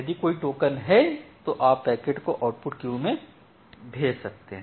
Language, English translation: Hindi, If there is a token then you sending the packet to the output queue